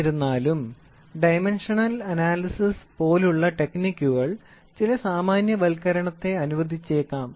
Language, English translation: Malayalam, However, the techniques can be dimensional analysis may allow some generalization